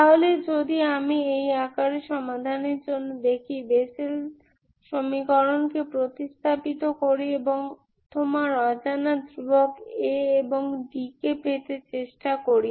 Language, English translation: Bengali, So if I look for solution in this form, substitute the Bessel equation and try to get your unknown constants A and d k, Ok